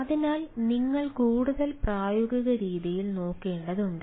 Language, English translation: Malayalam, so you need to look at in a more more ah practical way